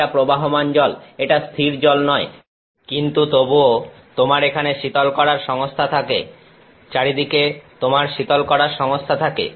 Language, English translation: Bengali, This is flowing water it is not static water, but you have cooling systems even here you will have, all around you have cooling systems